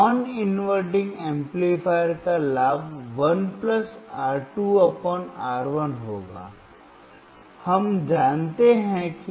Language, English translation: Hindi, Non inverting amplifier will have a gain of 1 + (R2 / R1), we know that